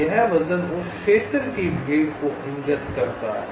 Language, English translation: Hindi, this weight indicates the congestion of that area